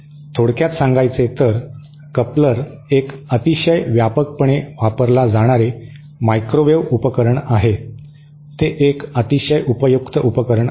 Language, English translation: Marathi, So, in summary, a coupler is a very widely used microwave device, it is a very useful device